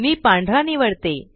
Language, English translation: Marathi, I am selecting white